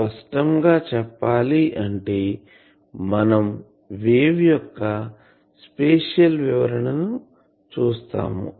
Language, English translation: Telugu, So, obviously; that means, this is a you see spatial description of the wave